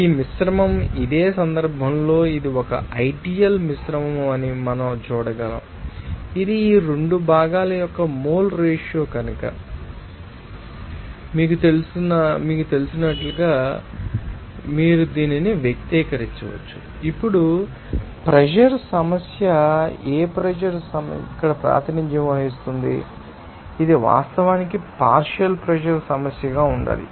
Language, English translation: Telugu, So, that is this is the mixture we can say that this is an ideal mixture in that case we can see that since it is a molar ratio of these 2 components, so, you can express this as you know, pressure issue now, what pressure issue will be represented here it should be actually partial pressure issue